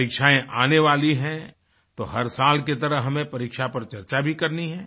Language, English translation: Hindi, Exams are round the corner…so like every other year, we need to discuss examinations